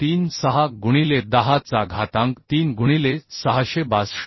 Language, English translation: Marathi, 36 into 10 to power 3 by 662